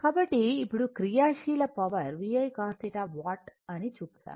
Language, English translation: Telugu, So now active power we have seen now that VI cos theta it is watt